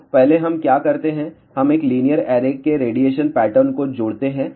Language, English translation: Hindi, So, first what we do we combine the radiation pattern of 1 linear array